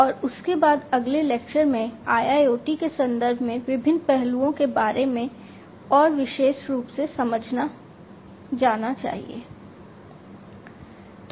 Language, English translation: Hindi, And thereafter, in the next lecture about you know the different aspects in the context of IIoT as well more specifically